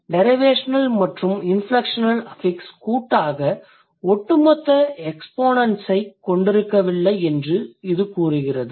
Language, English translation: Tamil, It says derivational and inflectional affixes do not have jointly cumulative exponents, right